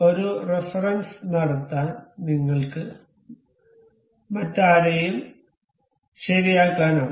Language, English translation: Malayalam, You can fix anyone else to make a reference